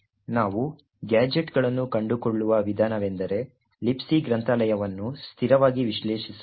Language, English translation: Kannada, The way we find gadgets is by statically analysing the libc library